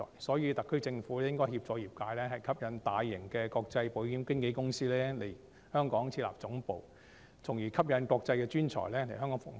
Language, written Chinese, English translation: Cantonese, 所以，特區政府應該協助業界吸引大型的國際保險經紀公司來港設立總部，從而吸引國際專才來港服務。, Therefore the SAR Government should assist the industry in attracting large international insurance broker companies to set up headquarters in Hong Kong so as to encourage international professionals to come and serve here